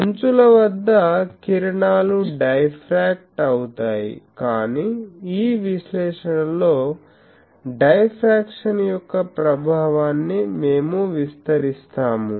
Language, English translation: Telugu, At the edges the rays are diffracted, but we will neglect the effect of diffraction in this analysis